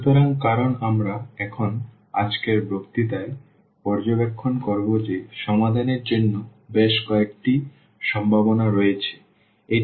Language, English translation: Bengali, So, because we will observe now in today’s lecture that there are several possibilities for the solutions